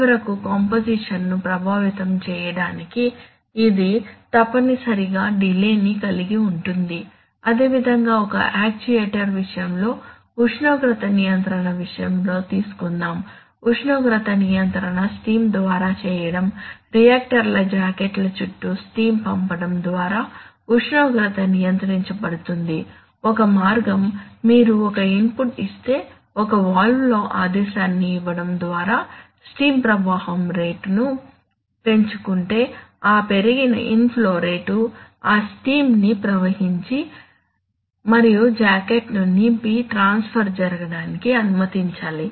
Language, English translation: Telugu, To finally effect composition, so this essentially involves a delay, similarly in the case of an actuator you know actuators typically, let us say again let us let us take the case of temperature control temperature is controlled by sending steam heated steam around jackets of reactors, let us say one way, so if you give an input that is if you increase the steam flow rate by giving a commanding a valve then that increased in flow rate must let that steam must travel and fill the jacket for the transfer to actually take place right